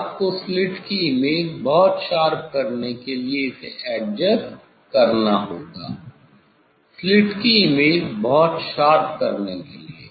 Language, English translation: Hindi, now, you have to adjust this one to make the image of the slit is very sharp, to make the image of the slit very sharp